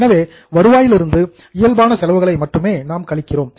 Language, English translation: Tamil, So, from the revenue we deduct only those items which are normal in nature